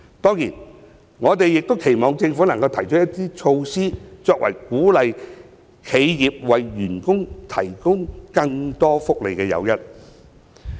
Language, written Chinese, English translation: Cantonese, 當然，我們亦期望政府能夠提出措施作為鼓勵企業為員工提供更多福利的誘因。, Of course we also hope that the Government can roll out measures to serve as incentives for enterprises to provide more benefits for their employees